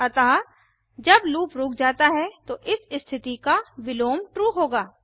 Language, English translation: Hindi, So when the loop stops, the reverse of this condition will be true